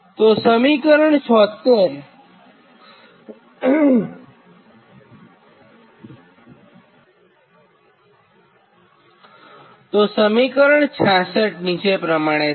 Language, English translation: Gujarati, this is equation sixty six